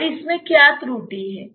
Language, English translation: Hindi, What is the error in this